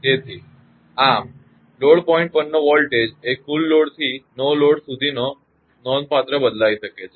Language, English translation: Gujarati, Therefore, thus, the voltage at the load point may vary considerably from full load to no load